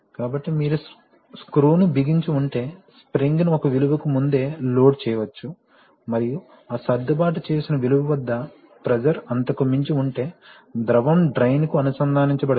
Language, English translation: Telugu, So, if you tighten the screw, the spring can be pre loaded to a value and then at that adjustable, adjusted value if the pressure goes beyond that then the fluid will be connected to drain